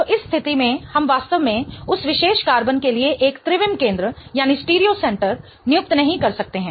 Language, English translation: Hindi, So, in which case we really cannot assign a stereo center to that particular carbon